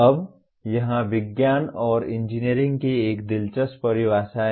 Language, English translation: Hindi, Now, here is an interesting definitions of Science and Engineering